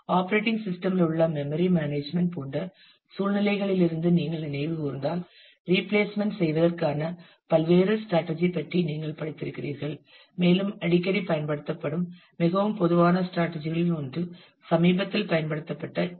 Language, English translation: Tamil, Now if you recall from your from similar situations in the in the operating system in terms of memory management, you have read about different strategies for doing replacement and one of the very common strategy more often used is the LRU strategy of the least recently used strategy